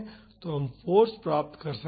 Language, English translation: Hindi, So, we can find the force